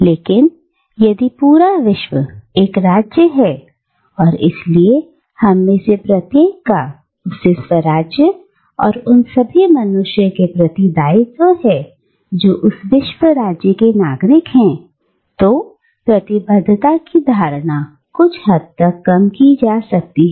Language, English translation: Hindi, And, but, if the entire world is a state, and therefore each of us have obligations to that world state and to all the human beings who are citizens of that world state, then the notion of commitment becomes somewhat diluted